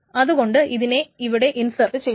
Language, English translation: Malayalam, So this is being inserted